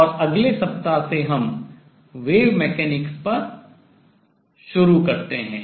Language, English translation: Hindi, And we stop here on this, and next week onwards we start on wave mechanics